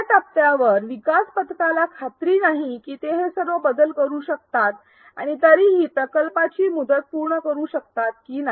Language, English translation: Marathi, At this stage the development team is unsure if they can make all these modifications and still meet the project deadlines